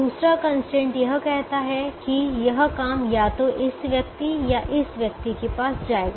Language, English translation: Hindi, the second constraint will say that this job will go to either this person or this person, or this person or this person